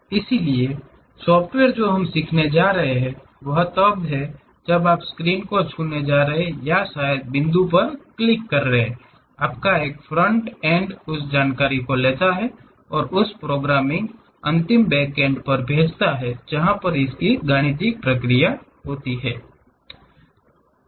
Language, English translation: Hindi, So, the softwares what we are going to learn is when you are going to touch the screen or perhaps click the point, your front end takes that information and send it to your back end of that programming